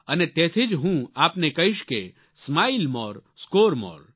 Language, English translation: Gujarati, And therefore I shall say to you 'Smile More Score More'